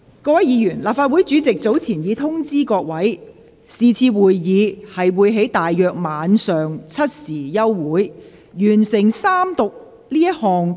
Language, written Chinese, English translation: Cantonese, 各位議員，立法會主席早前已作出通知，是次會議將於大約晚上7時休會。, Will Members please note that the President of the Legislative Council has informed us earlier that this meeting will be adjourned at about 7col00 pm